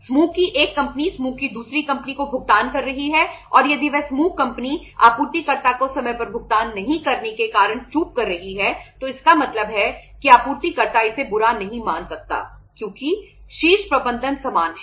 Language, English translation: Hindi, One company, one group company is making the payment to the other group company and if that group company is defaulting by not making the payment on time to the supplier so it means the supplier would not mind it because the top management is same